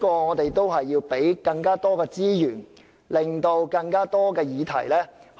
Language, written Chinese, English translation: Cantonese, 我們要提供更多資源，以涵蓋更多議題。, We should allocate more resources to this area so that more subjects can be covered